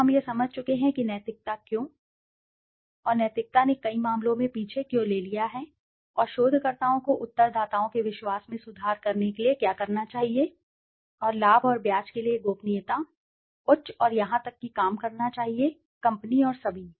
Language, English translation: Hindi, So, we have understood what is ethics, why ethics and how ethics has taken a backseat in many of the cases and what should researchers do to improve the confidence of respondents, and keep the confidentiality, high and even work for the benefit and interest of the company and all